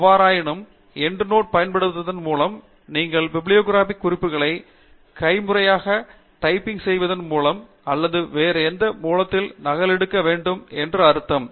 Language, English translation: Tamil, However, using Endnotes would mean that you would be adding the bibliographic references manually by typing it out or copy pasting from some other source